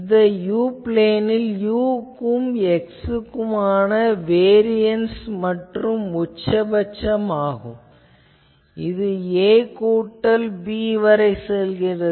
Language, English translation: Tamil, You see that in the u plane u versus x, this is the variance and maximum it goes to a plus b